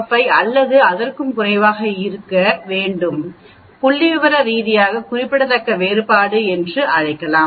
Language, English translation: Tamil, 05 or less than only we can call it a statistically significant difference